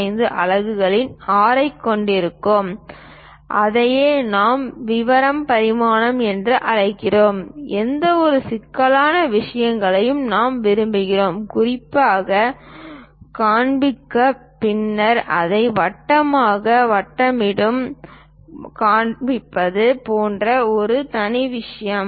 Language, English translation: Tamil, 05 units and that is what we call detail dimensions, any intricate things which we would like to specifically show, then a separate thing like rounding it off into circle and show it